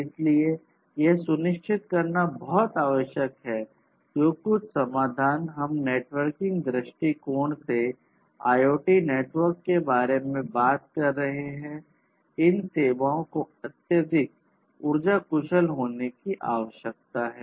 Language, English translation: Hindi, So, it is very essential to ensure that whatever solutions we are talking about from a networking point of view or in fact, from any point of view, for IoT networks, IoT systems, these have to be highly power efficient